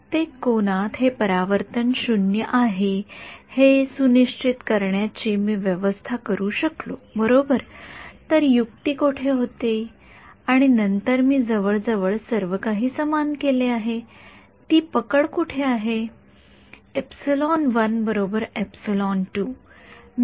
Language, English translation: Marathi, I have managed to make sure that this reflection is 0 at every angle right where is the trick then where is the catch I have made almost everything equal